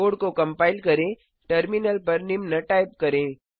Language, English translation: Hindi, To compile the code, type the following on the terminal